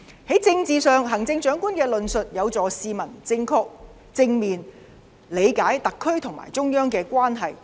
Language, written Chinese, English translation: Cantonese, 在政治上，行政長官的論述有助市民正確、正面理解特區和中央的關係。, On the political front the Chief Executives arguments can help the public to correctly understand the relationship between the SAR and the Central Government in a positive manner